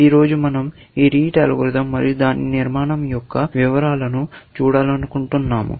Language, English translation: Telugu, Today, we want to look at the details of this algorithm; the Rete algorithm and its structure